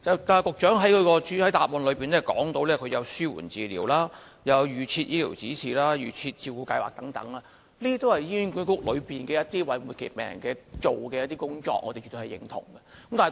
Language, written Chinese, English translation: Cantonese, 局長在主體答覆中提到紓緩治療、預設醫療指示和"預設照顧計劃"等安排，這些都是醫管局為末期病人所做的工作，我們是絕對認同的。, In the main reply the Secretary mentioned the arrangements for palliative care formulating guidelines on advance directives and the Advance Care Planning which are services provided by HA to the terminally ill and we acknowledge these arrangements